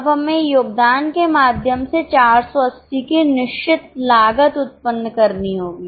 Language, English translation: Hindi, Now, we have to generate fixed cost of 480 by way of contribution